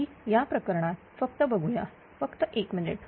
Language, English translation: Marathi, So, in this case just have a look, just just 1 minute